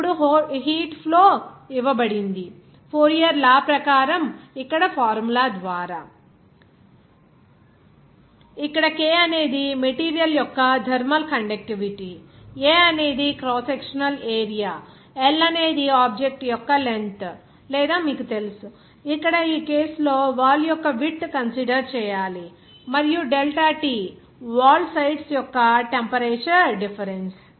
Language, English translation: Telugu, Now, the heat flow is given by the formula here as per Fourier’s law, that is Here K is the thermal conductivity of the material, A is the crosssectional area, L is the length of the object or you know that here in this case wall that is your width of the wall here in this case to be considered and delta T is the temperature difference between the sides of the wall